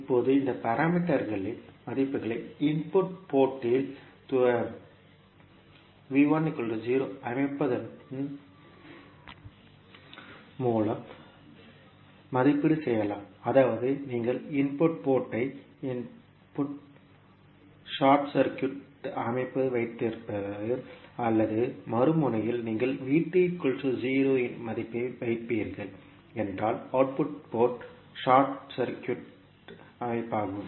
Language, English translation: Tamil, Now, the values of this parameters can be evaluated by setting V 1 equal to 0 at the input port means you will have the input port short circuited or at the other end you will put the value of V 2 equal to 0 means output port is short circuited